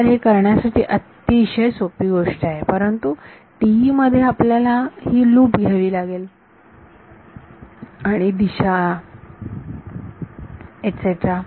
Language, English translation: Marathi, So, this is the easier thing to do, but in TE you have to take this loop and direction whatever